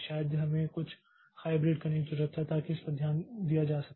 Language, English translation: Hindi, Maybe we need to do something a hybrid of so that this can be taken care of